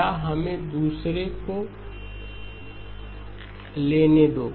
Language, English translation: Hindi, or let us take the other one